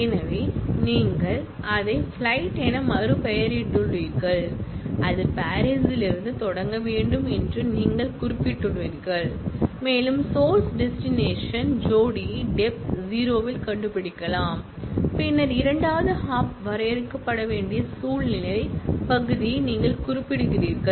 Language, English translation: Tamil, So, you have renamed it as flights as route, you are specified that it has to start from Paris and you can find out the source destination pair at depth 0, then you specify the recursive part that is the second hop has to be defined